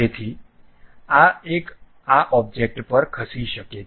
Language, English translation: Gujarati, So, this one can move on this object